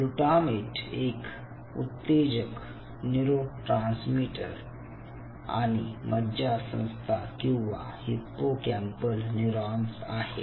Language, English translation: Marathi, glutamate is an excitatory neurotransmitters and most of the nervous system or the hippocampal neurons